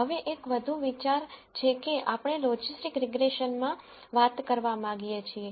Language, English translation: Gujarati, Now, there is one more idea that we want to talk about in logistic regression